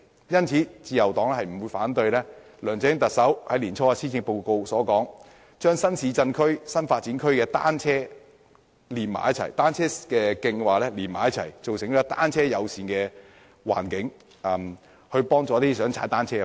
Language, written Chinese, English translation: Cantonese, 因此，自由黨不會反對特首梁振英年初在施政報告中提出將新市鎮和新發展區的單車徑串連起來的建議，發展單車友善的環境，協助一些想踏單車的人士。, Hence the Liberal Party will not oppose the proposal put forward by Chief Executive LEUNG Chun - ying in the Policy Address early this year to link up the sections of cycle tracks in new towns and new development areas so as to create a bicycle - friendly environment for the convenience of those who wish to cycle